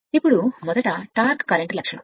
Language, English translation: Telugu, Now, first is a torque current characteristic